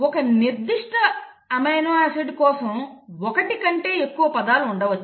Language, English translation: Telugu, You can have more than one word for a particular amino acid